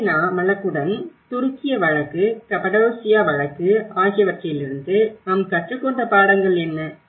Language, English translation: Tamil, Along with the Gibellinaís case, what the lessons we have learned from Gibellina case and the Turkish case, Cappadocia case